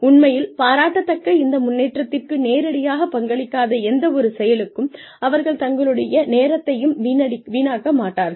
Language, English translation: Tamil, And, they do not waste any time, on any activities, that are not directly contributing to this progression, which is really commendable